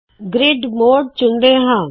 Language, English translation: Punjabi, Let me choose grid mode